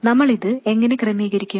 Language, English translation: Malayalam, How do we arrange this